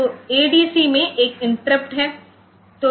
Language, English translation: Hindi, So, adc there is an interrupt